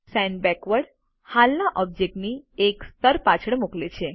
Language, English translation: Gujarati, Send Backward sends an object one layer behind the present one